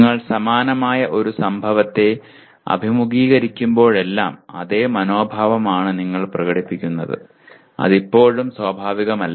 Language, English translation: Malayalam, That is every time you confront the similar event, you express the same attitude rather than, it is not natural still